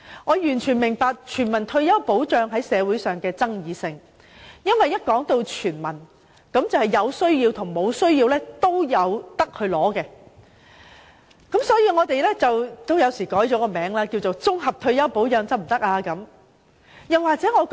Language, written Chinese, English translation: Cantonese, 我完全明白全民退休保障在社會上具有爭議性，因為一旦說到"全民"，便意味無論是否有需要的市民都可領取退休金。, I fully understand the social controversy over the implementation of a universal retirement protection scheme because when it comes to the term universal it will imply that each one of us will be eligible to receive retirement benefits under the scheme regardless of our financial situations